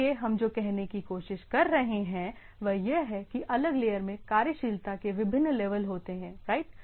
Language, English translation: Hindi, So, what we try to say that this different layer of the things has different level of functionalities right